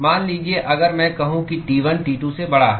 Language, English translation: Hindi, Supposing, if I say T1 is greater than T2